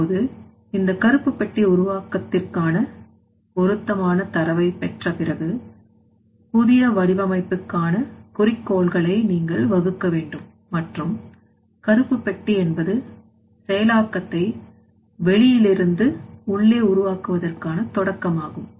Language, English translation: Tamil, Now, next what you have to do that after getting this process relevant data for that black box formation you have to formulate the goals for the new design and the black box is the start of the rebuilding of the process that from the outside to inside